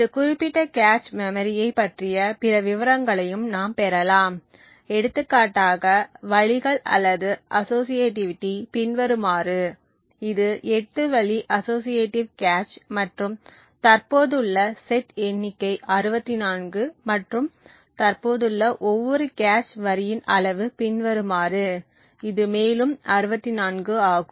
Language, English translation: Tamil, We can also obtain other details about this particular cache memory for example the ways or associativity is as follow so this is 8 way associative cache and the number of sets that are present is 64 and the size of each cache line that is present is as follows, is also 64